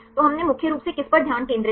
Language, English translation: Hindi, So, what did we mainly focused on